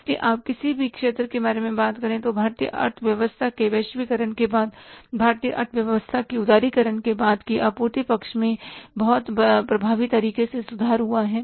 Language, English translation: Hindi, So, in any sector you talk about after globalization of Indian economy, after liberalization of Indian economy, the supply side has improved in a very effective manner